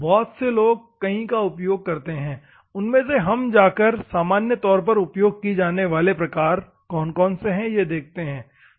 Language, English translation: Hindi, Many people use many among that we will go and see what the normal types are